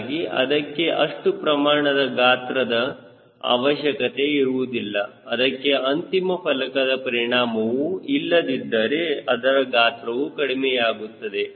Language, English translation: Kannada, so it do not require that much of size if it didnt have the end plate effects, so size reduces